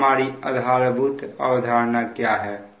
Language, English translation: Hindi, now what is our, what is the basic philosophy